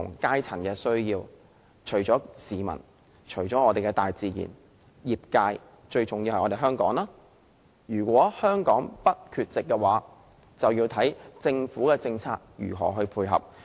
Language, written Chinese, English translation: Cantonese, 最重要的是，香港如果想在全球氣候變化議題上不缺席，就要視乎政府的政策如何配合。, Most importantly if Hong Kong does not wish to be absent in addressing global climate change the Government must render its support policy - wise